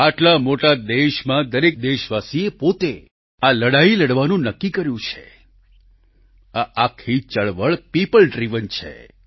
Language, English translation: Gujarati, In a country as big as ours, everyone is determined to put up a fight; the entire campaign is people driven